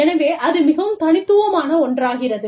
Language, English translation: Tamil, So, that is something, that is very unique